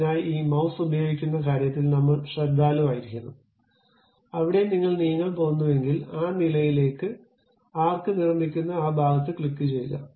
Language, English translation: Malayalam, So, I have to be careful in terms of using this mouse, where I am going to really move and click that portion it construct arc up to that level